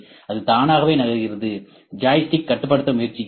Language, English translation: Tamil, It is moving by itself is just trying to control the joystick